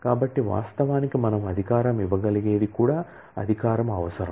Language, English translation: Telugu, So, actually what we can authorize is also a privilege that needs to be authorized